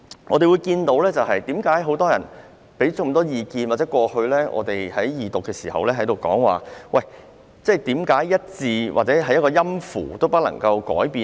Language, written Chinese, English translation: Cantonese, 我們聽到很多人提出不少意見，在過去的二讀辯論期間亦有質疑，為何一個字或一個音符也不能改變？, We have heard many people raise a lot of views . In the earlier Second Reading debate there were also queries why not even a single word or note can be changed